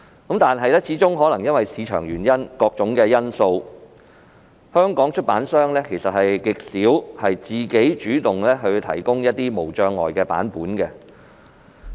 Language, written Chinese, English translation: Cantonese, 然而，可能由於個人原因或各種因素，香港出版商極少主動提供無障礙版本。, However due to personal or various reasons publishers in Hong Kong seldom take the initiative to provide the accessible format copies